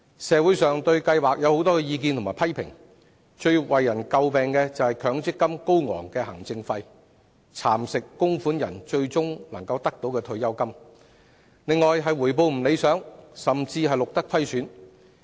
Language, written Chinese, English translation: Cantonese, 社會上對強積金計劃有很多意見與批評，其中最為人詬病的，包括高昂的行政費蠶食了供款人最終可以提取的退休金，以及回報未符理想，甚至錄得虧損。, There are many views and comments against the MPF System in society . The most scathing criticisms include the exorbitant administrative fees eroding the pensions which the contributors may withdraw in the end and unsatisfactory returns and even losses recorded